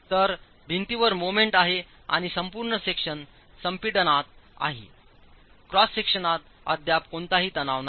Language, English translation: Marathi, So there is moment acting on the wall and the entire section is in compression, no tension in the cross section yet